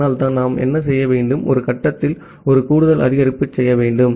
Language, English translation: Tamil, So that is why what we have to do, we have to make a additive increase at some point of time